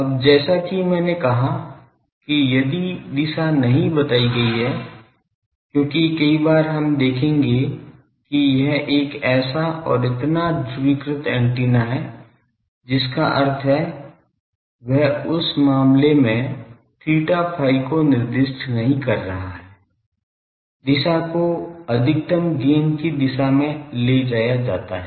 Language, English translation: Hindi, Now, as I said if the direction is not stated, because many times we will see that it is a so and so polarized antenna that means, he is not specifying theta phi in that case the polarize; the direction is taken to be the direction of the maximum gain